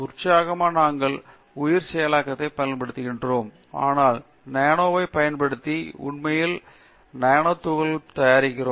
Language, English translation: Tamil, Excitingly also we are using bio processing, so using microbes to actually prepare nano particles